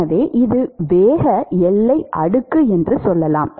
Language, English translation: Tamil, So, let us say that this is the velocity boundary layer